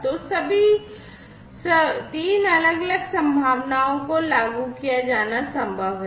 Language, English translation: Hindi, So, all the 3 different possibilities are possible to be implemented